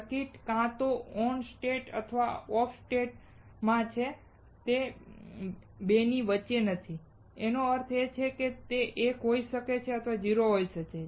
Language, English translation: Gujarati, The circuit is either in ON state or OFF state and not in between the 2; that means, that either it can be 1 or it can be 0